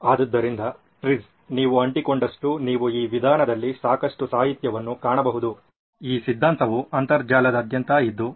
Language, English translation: Kannada, So TRIZ still sticks you can find lots of literature in this method, in this theory all across the internet